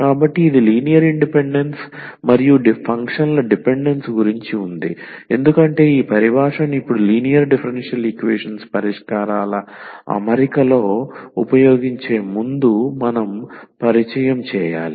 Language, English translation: Telugu, So, this was about the linear independence and dependence of the functions because we need to introduce before we use these terminology now in the in setting of the solutions of linear differential equations